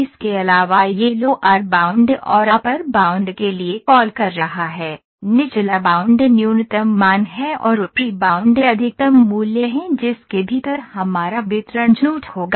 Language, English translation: Hindi, Also it is calling for the lower bound and upper bound; lower bound is the minimum value and the upper bound is the maximum value within which our distribution would lie